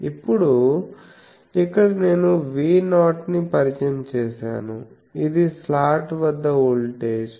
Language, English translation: Telugu, Now, here I have introduced V 0 it is the I can say voltage across the slot